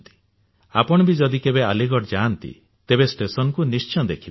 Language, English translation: Odia, If you go to Aligarh, do visit the railway station